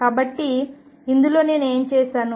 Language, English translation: Telugu, So, what have I done in this